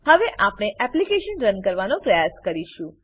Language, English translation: Gujarati, Now, we shall try running the application